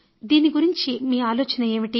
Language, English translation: Telugu, What are your views